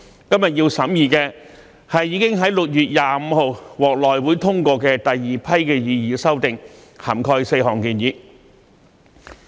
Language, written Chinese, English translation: Cantonese, 今天要審議的，是已在6月25日獲內會通過的第二批擬議修訂，涵蓋4項建議。, Today we are considering the second batch of proposed amendments which were approved by HC on 25 June covering four proposals